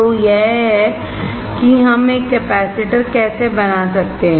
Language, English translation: Hindi, So, this is how we can fabricate a capacitor